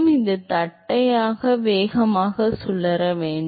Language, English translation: Tamil, So, it should be flat velocity